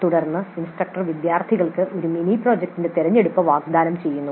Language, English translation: Malayalam, Then the instructor may offer the choice of a mini project to the students